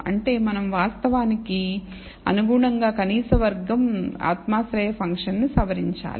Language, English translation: Telugu, Which means we have to modify the a least square subjective function to actually accommodate this